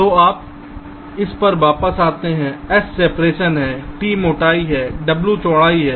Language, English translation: Hindi, ok, so you come back to this: s is the separation, t is the thickness and w is the width